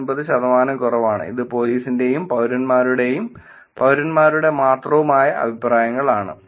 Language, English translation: Malayalam, 49 percent lower than the Cc which is the comments by police and the citizens versus comments by only citizens